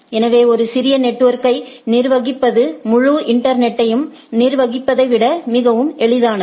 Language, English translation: Tamil, So, based on managing a small network is much easier than managing the whole internet and type of things